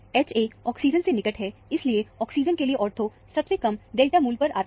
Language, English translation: Hindi, H a is adjacent to the oxygen; that is why, ortho to oxygen comes at the lowest delta value